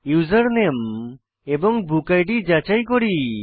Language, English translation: Bengali, We validate the username and book id